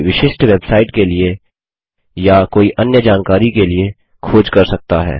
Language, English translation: Hindi, One can search for a specific website or for some other information